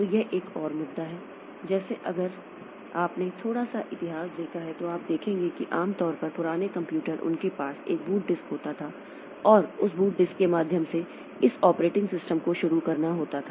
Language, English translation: Hindi, So, this is another issue like if you look into a bit of history then you will see that normally the old computers they had to have a boot disk and through that boot disk this operating systems has to start